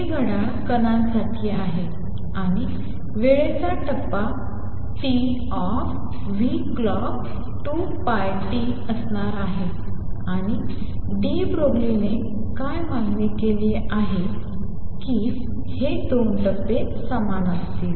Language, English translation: Marathi, This clock is with the particle and there phase in time t is going to be nu clock times t times 2 pi, and what de Broglie demanded that these to be equal these 2 phases are going to be equal